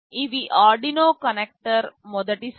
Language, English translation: Telugu, These are the Arduino connector first set